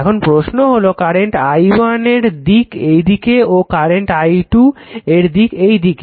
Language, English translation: Bengali, Now, question is is current i1 is direction and i 2 is direction direction in this direction